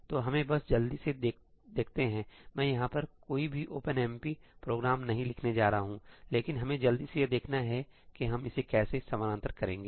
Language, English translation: Hindi, So, let us just quickly see; I am not going to write any OpenMP programs over here, but let us just quickly see how we would parallelize this